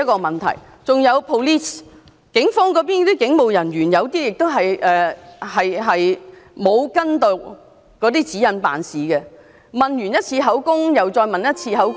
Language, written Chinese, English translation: Cantonese, 還有 police， 有部分警務人員未有依從指引辦事，錄取完口供後，又再次錄取口供......, Let us not forget the Police . Some police officers did not follow the guidelines . They took statements again and again